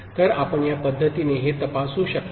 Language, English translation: Marathi, So, we can examine it in this manner